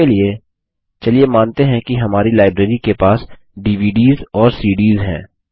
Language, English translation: Hindi, For this, let us assume that our Library has DVDs and CDs